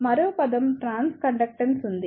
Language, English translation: Telugu, There is one more term trans conductance